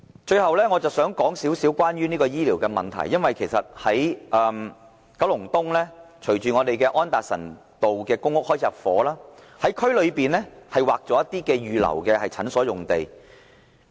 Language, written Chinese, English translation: Cantonese, 最後，我想稍為談談醫療的問題，因為隨着九龍東安達臣道的公屋入伙，當局在區內已劃出一些土地預留作診所用地。, Lastly I would like to talk about health care . As the PRH estate at Anderson Road Kowloon East started intake the authorities have earmarked some sites in the district for building clinics